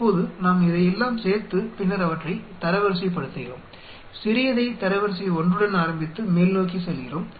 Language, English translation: Tamil, Now we add up all these and then rank them we start the smallest with rank 1 and then go upwards